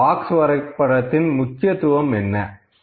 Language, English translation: Tamil, So, what is the significance of box plot